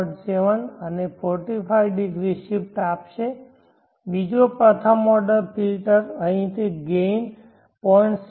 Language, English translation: Gujarati, 707 and 45° shift another first order filter will give again a 0